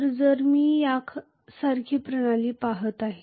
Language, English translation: Marathi, So if I am looking at a system somewhat like this